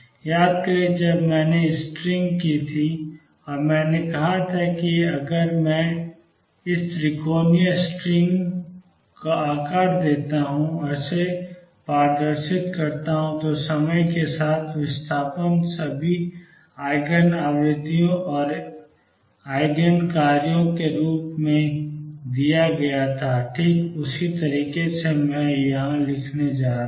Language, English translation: Hindi, Recall when I did the string and I said if I give it a shape of triangular string and displays it, the with time the displacement was given as a sum of all the eigen frequencies and eigen functions, in exactly the same manner this would I am going to write